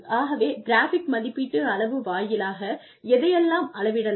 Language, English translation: Tamil, What can be measured, through the graphic rating scale